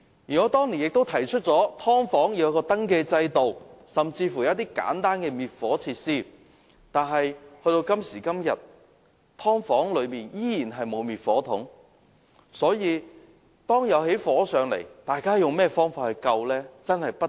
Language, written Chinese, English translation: Cantonese, 我當年曾建議為"劏房"設立登記制度，以及規定"劏房"配備簡單的滅火設施，但到今時今日，當局仍然沒有規定"劏房"內須設滅火筒。, Some years ago I proposed putting in place a registration system for subdivided units and requiring all units to be equipped with fire extinguishers . But up till today this requirement has yet to be implemented